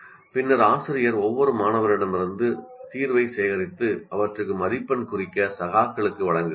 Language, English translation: Tamil, Then the teacher collects the solution from each student and gives these out for peers to mark